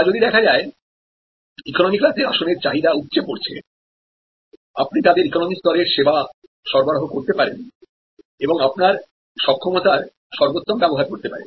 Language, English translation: Bengali, Or if it is now catering to the overflow from the economy seat, you can provide them the economy level of service and manage to optimally utilize the capacity